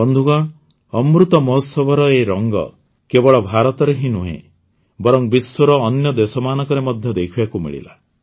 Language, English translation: Odia, Friends, these colors of the Amrit Mahotsav were seen not only in India, but also in other countries of the world